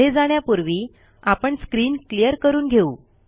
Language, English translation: Marathi, Before moving ahead let us clear the screen